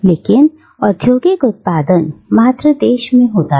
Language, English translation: Hindi, But the industrial production took place in the mother country